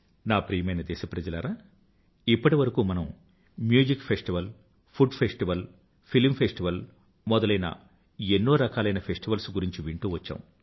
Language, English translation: Telugu, My dear countrymen, till date, we have been hearing about the myriad types of festivals be it music festivals, food festivals, film festivals and many other kinds of festivals